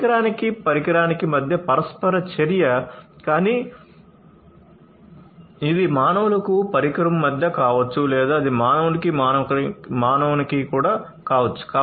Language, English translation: Telugu, Interaction primarily between devices device to device, but it could also be device to humans or it could be even human to human right